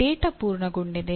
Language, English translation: Kannada, Is the data complete